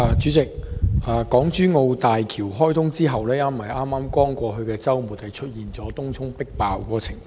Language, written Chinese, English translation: Cantonese, 主席，港珠澳大橋開通後，剛過去的周末出現迫爆東涌的情況。, President with the commissioning of the Hong Kong - Zhuhai - Macao Bridge HZMB Tung Chung swarmed with people in the past weekend